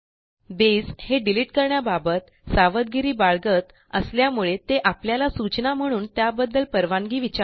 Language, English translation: Marathi, Base is cautious about deletes, so it asks for a confirmation by alerting us